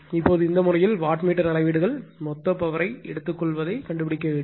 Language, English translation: Tamil, Now, in this case , you are predict the wattmeter readings find the total power absorbed rights